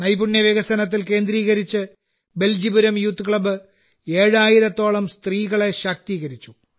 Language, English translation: Malayalam, Focusing on skill development, 'Beljipuram Youth Club' has empowered around 7000 women